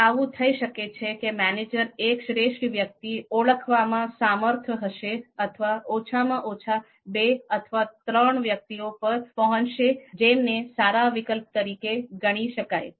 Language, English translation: Gujarati, So it might so happen that manager might be able to identify a single best person or at least may arrive at two or three persons which are having the you know you know can be considered as good alternatives